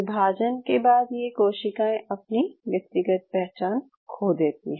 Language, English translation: Hindi, After division, these cells lose their individual identity